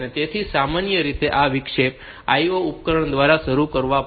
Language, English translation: Gujarati, So, this interrupt has to be initiated by the IO device